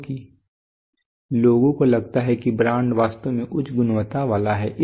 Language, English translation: Hindi, Because people have a feeling that brand actually has higher quality